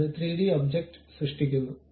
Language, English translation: Malayalam, It creates that kind of 3D object